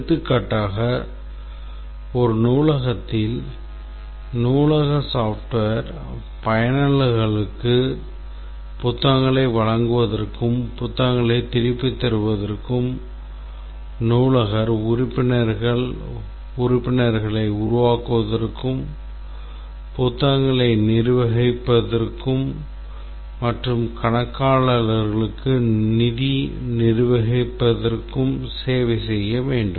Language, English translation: Tamil, For example, in a library we might just write very briefly saying that the library software should serve the users for their issuing books returning for the librarian to create members manage books and on, and for the accountant to manage the financial aspects of the library